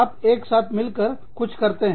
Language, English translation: Hindi, You do something together